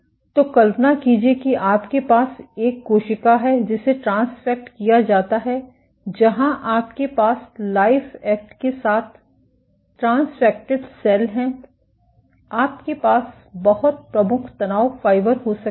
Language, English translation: Hindi, So, imagine you have a cell which is transfected with where you have transfected cells with LifeAct, you can have very prominent stress fibers